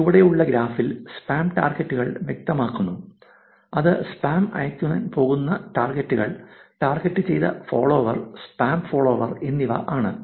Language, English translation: Malayalam, And over the graph at the bottom talks about spam targets which is the targets where spam is going to be sent, targeted follower and spam follower